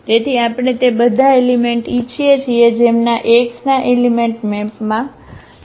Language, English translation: Gujarati, So, we want all those elements whose who those elements in X whose map is as a 0 element